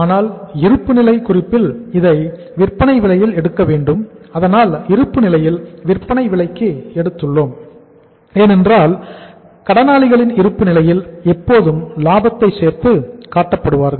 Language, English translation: Tamil, But in the balance sheet it has to be taken at the selling price so in the balance sheet I have taken at the selling price because sundry debtors in the balance sheet are always shown with the profit